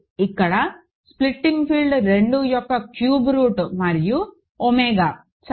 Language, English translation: Telugu, So, here the splitting field is cube root of 2 and omega, ok